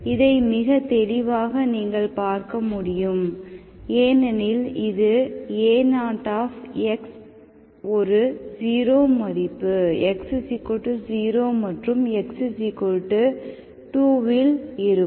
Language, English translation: Tamil, So clearly you can see that, so you see that x is, because this A0 of x which is 0 at x equal to 0 and x equal to 2